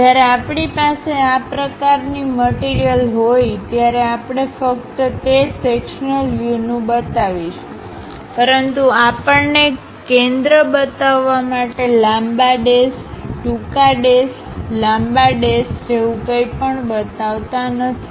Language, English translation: Gujarati, When we have such kind of thing, we will represent only that sectional view representation; but we we do not show, we do not show anything like long dash, short dash, long dash to represent center